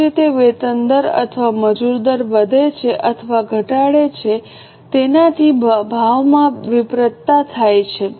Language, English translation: Gujarati, Same way if wage rates or labour rates increase or decrease, it leads to price variances